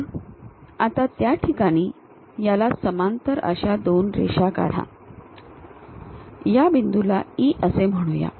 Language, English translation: Marathi, So, at those locations draw two lines parallel to this one, let us call this point as something E